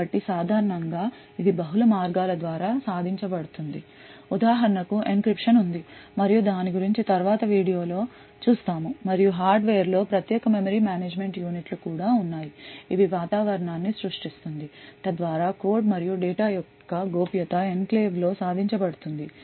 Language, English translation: Telugu, So typically this is achieved by multiple ways for example there is encryption which is done and will see more about it later in the video and also there is special memory management units present in the hardware which creates an environment so that confidentiality of the code and data in the enclave is achieved